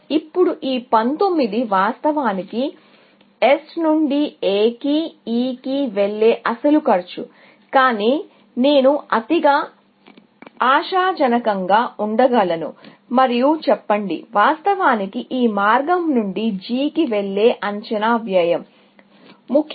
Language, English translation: Telugu, Now, this 19 is actually, the actual cost of going from S to A to E, but I can be overly optimistic and say, that is actually, the estimated cost of going to G from this path, essentially